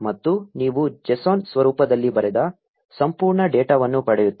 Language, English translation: Kannada, And you get the entire data written in a JSON format